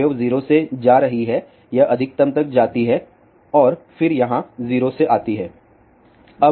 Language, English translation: Hindi, The wave is going from 0 it goes to maximum and then it comes to 0 here